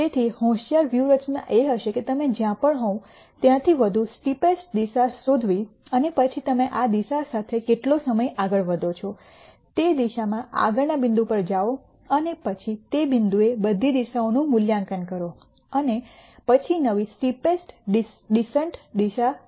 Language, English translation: Gujarati, So, smarter strategy would be to find the steepest direction at wherever you are and then find how long you are going to move along this direction, go to the next point in the direction and then at that point reevaluate all the directions, and then nd new steepest descent direction